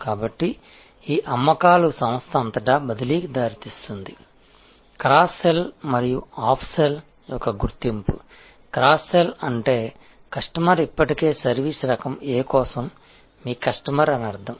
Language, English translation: Telugu, So, this sales leads transfer across the organization, identification of cross sell and up sell, cross sell means that the customer is already your customer for service type A